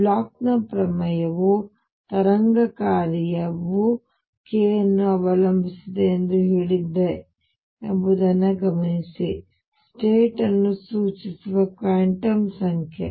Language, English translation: Kannada, Notice that Bloch’s theorem said that wave function depends on k which is a quantum number that specifies the state